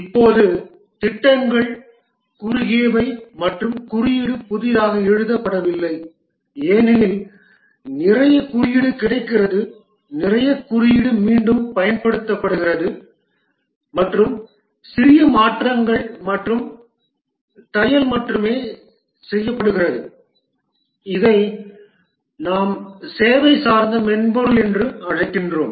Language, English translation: Tamil, Now the projects are short and the code is not written from scratch because lot of code is available, lot of code is being reused and only small modifications and tailoring is done which we called as service oriented software